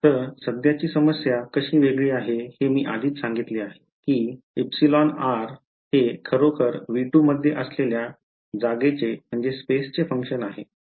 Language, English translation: Marathi, So, how the current problem is different as I have already said that epsilon r is actually a function of space within V 2 right